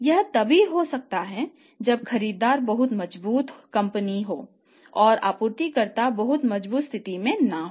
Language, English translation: Hindi, So, when the buyer is a very strong company is in a very strong position and supplier is also not in that very strong position